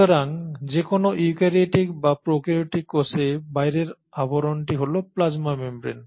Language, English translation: Bengali, So the outermost covering of any eukaryotic or prokaryotic cell is the plasma membrane